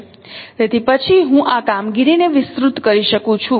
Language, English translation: Gujarati, So I can then expand this operation